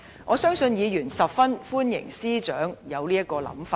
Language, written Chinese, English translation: Cantonese, 我相信議員十分歡迎司長有這種想法。, I believe Members will highly welcome this idea of the Chief Secretary for Administration